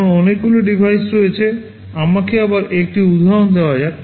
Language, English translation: Bengali, Because there are many devices, let me take an example again